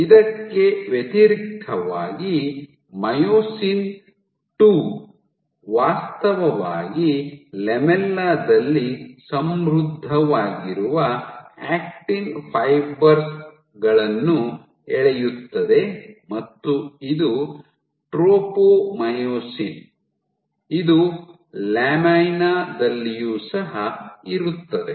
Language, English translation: Kannada, In contrast myosin II which actually pulls on actin, which pulls on actin fibers first enriched in lamella and same was tropomyosin this was also present in lamina